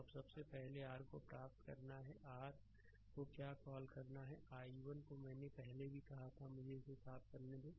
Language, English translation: Hindi, Now first is to first is to get your what to call the expression of your what you call i 1, I told you earlier also let me clean it this